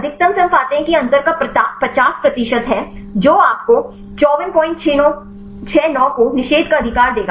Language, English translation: Hindi, So, from the maximum we get that is 50 percent of the difference this will give you 54